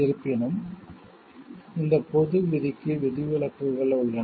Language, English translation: Tamil, There are however, exception to this general rule